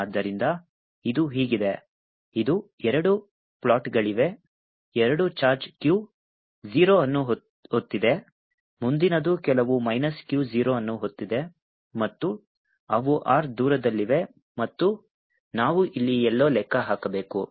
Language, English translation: Kannada, there are two plates, both of one is carrying charge q zero, the next one is carrying some minus q zero and they are at distance r apart, and we are suppose to calculate somewhere here its point p, and we are suppose to calculate